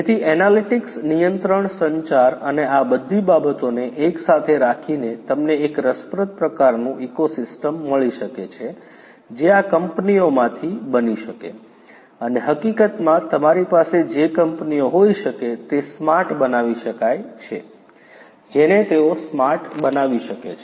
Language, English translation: Gujarati, So, analytics control communication and all of these things put together you know you can get a fascinating type of ecosystem that could that could be built out of these companies, and in fact what you could have is companies like this could be made smart you know they could be made smarter